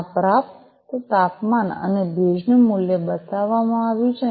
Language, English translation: Gujarati, This received temperature and the humidity value is shown